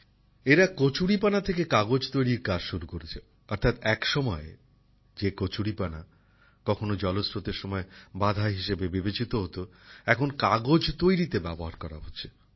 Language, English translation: Bengali, They are working on making paper from water hyacinth, that is, water hyacinth, which was once considered a problem for water sources, is now being used to make paper